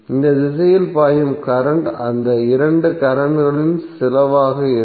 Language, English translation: Tamil, So the current flowing in this direction would be some of these two currents